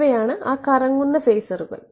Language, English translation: Malayalam, These are phasors that are rotating